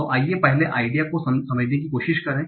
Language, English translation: Hindi, So let's try to understand the idea first